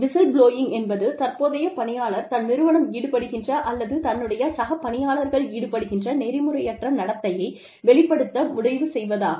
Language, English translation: Tamil, Whistleblowing is, when a current employee, decides to reveal unethical behavior, that his or her organization is indulging in, or peers are indulging in, etcetera